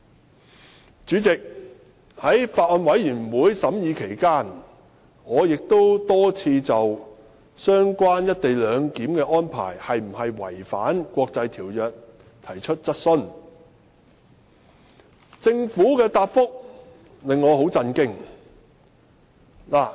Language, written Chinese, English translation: Cantonese, 代理主席，在《條例草案》審議期間，我已多次就"一地兩檢"安排是否違反國際條約提出質詢，但政府的答覆令我很震驚。, Deputy President during the scrutiny of the Bill I have asked time and again if the co - location arrangement is in contravention of the international agreements but the Governments reply was appalling